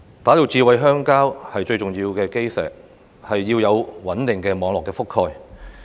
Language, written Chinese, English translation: Cantonese, 打造"智慧鄉郊"最重要的基石是要有穩定的網絡覆蓋。, The cornerstone for smart rural areas is a stable mobile network coverage